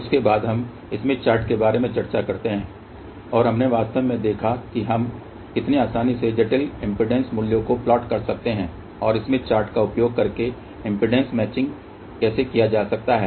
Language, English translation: Hindi, After that we discuss about smith chart, and we actually saw how easily we can plot complex impedance values and also how impedance matching can be done using smith chart